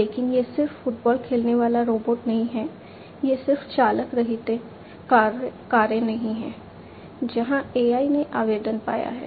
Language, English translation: Hindi, But, it is not just robot playing soccer, it is not just the driverless cars where, AI has found application